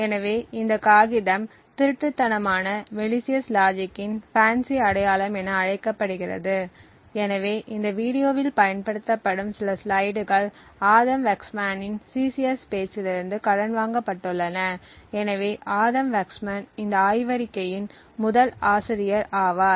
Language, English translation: Tamil, So, the paper is known as FANCI identification of stealthy malicious logic, so some of the slides that are used in this video are borrowed from Adam Waksman’s CCS talk, so Adam Waksman is the first author of this paper that was published